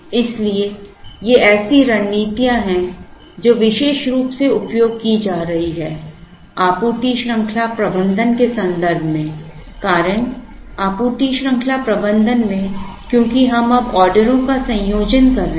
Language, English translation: Hindi, So, these are strategies that are being used particularly, in the context of supply chain management, the reason supply chain management is because we are now, combining orders